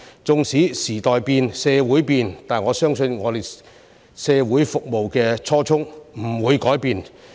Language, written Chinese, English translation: Cantonese, 縱使時代變、社會變，但我相信我們服務社會的初衷不會改變。, Even though the times have changed and society has changed I believe that our original intention to serve the community will not change